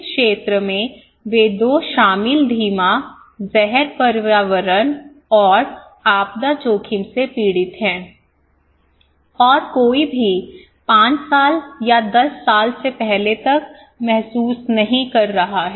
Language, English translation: Hindi, So, this area they are suffering from 2 huge slow poisoning environmental and disaster risk, okay is that you are slow poison gradually and nobody is realizing until before 5 years or 10 years